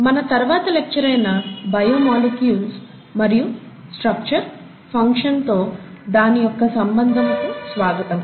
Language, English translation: Telugu, Welcome to the next lecture on “Biomolecules and the relationship to the structure and function of a cell